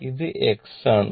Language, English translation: Malayalam, So, this is your x